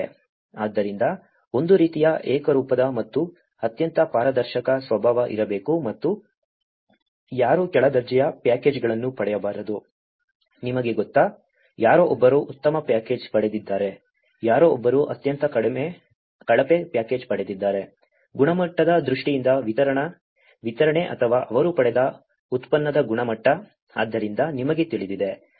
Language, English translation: Kannada, So, there should be a kind of uniform and very transparent nature and no one should not get a substandard packages, you know, someone has got a very better package, someone has got a very substandard package, whether in terms of the quality of the delivery or the quality of the product they have got, so you know, we should not compromise on that